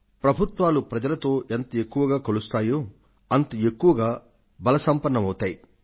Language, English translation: Telugu, And the more the governments get connected with the people, the stronger they become